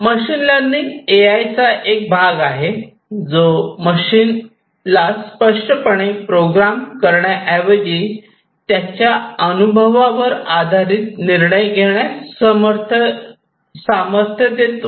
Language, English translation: Marathi, So, machine learning is a part of AI which empowers the machines to make decisions based on their experience rather than being explicitly programmed